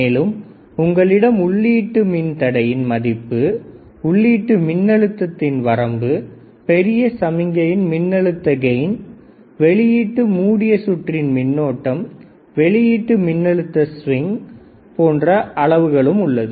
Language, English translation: Tamil, Then there is input resistance followed by input voltage range, large signal voltage gain, output short circuit current, output voltage swing see